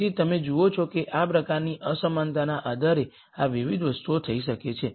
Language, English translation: Gujarati, So, you see that depending on what type of inequality these different things can happen